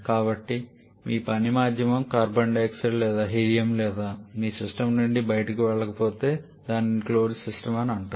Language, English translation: Telugu, So, whatever your working medium carbon dioxide or helium or what is something else that is not going out of your system it is a closed system